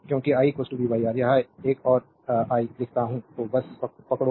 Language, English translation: Hindi, Because i is equal to v by R this one if I write for you, just hold on